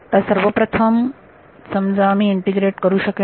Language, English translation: Marathi, So, first I can integrate over let us say